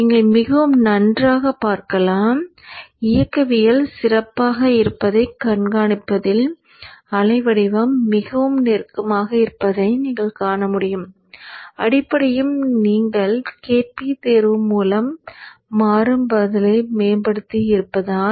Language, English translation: Tamil, So you see it's much better you see that the waveform is more closer in tracking the dynamics are better basically because you have you you have improved the dynamic response by the choice of KP